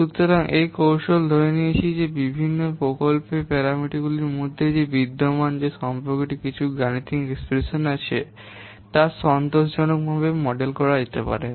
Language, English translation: Bengali, So, this technique assumes that the relationship which exists among the different project parameters can be satisfactorily modeled using some mathematical expressions